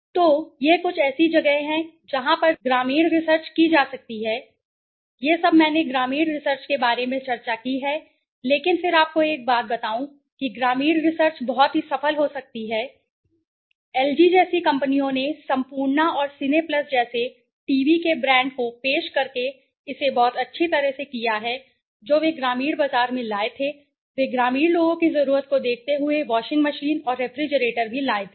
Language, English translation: Hindi, So, these are some of the places where the research can be rural research can be conducted okay ,well, this is all that I discussed about rural research but again let me tell you one thing that rural research can be very very successful to improve the bottom line of companies, companies like LG have done it extremely nicely extremely well by introducing the you know brand of TV like Sampoorna and Cineplus which they brought into the rural market they brought even washing machine and refrigerator looking at the rural peoples need